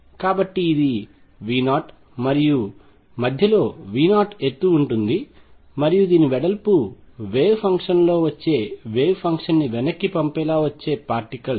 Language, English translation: Telugu, So, this is V 0, and in between there is a height V 0 and the width of this is a then the particles which are coming in have the wave function coming in wave function going back